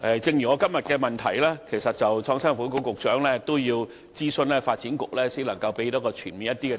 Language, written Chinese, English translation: Cantonese, 正如就我的主體質詢，創新及科技局局長也要諮詢發展局，才能提供較全面的答覆。, Just like the reply to my main question the Secretary for Innovation and Technology had to consult the Development Bureau in order to provide a more comprehensive reply